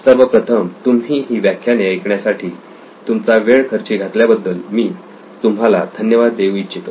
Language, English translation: Marathi, First of all I would like to thank you for spending your time on listening to these lectures